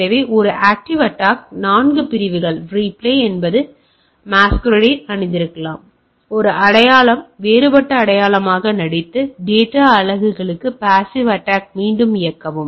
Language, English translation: Tamil, So, that is a active attack 4 categories are replay may be there that is masquerade, one identity pretends to be a different identity, replay passive capture of the data units